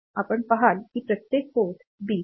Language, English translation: Marathi, So, you see that every port bit; so this 3